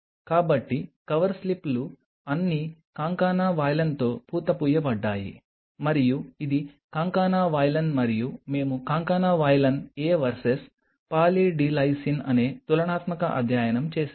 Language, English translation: Telugu, So, the cover slips were all coated with concana valine and this is concana valine and we made a comparative study concana valine A versus Poly D Lysine